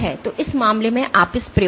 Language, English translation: Hindi, So, in this case you at this experiment